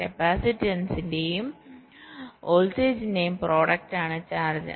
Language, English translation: Malayalam, charge is the product of capacitance and voltage, so c multiplied by v